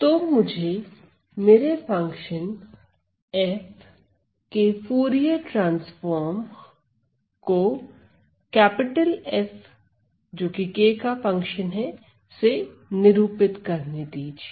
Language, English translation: Hindi, So, let me denote my Fourier transform of a function f as F of k